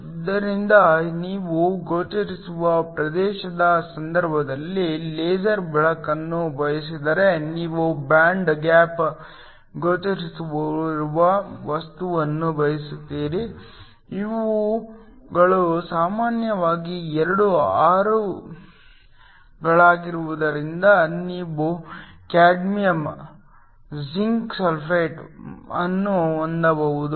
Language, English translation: Kannada, So, If you want laser light in the case of visible region you want a material whose band gap lies in the visible, these are usually two 6's so you can have cadmium, zinc sulphate